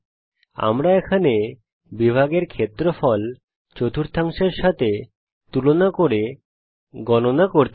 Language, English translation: Bengali, We want to calculate the area of the sector here by comparing it with the quadrant here